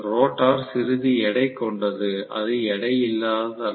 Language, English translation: Tamil, The rotor has some weight; it is not weightless